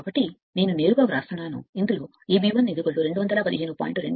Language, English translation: Telugu, So, directly I am writing this you will get E b 1 is equal to 215